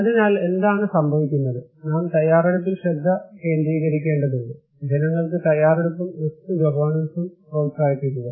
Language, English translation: Malayalam, So, what is happening is that we need to focus on preparedness, to promote preparedness and risk governance to the people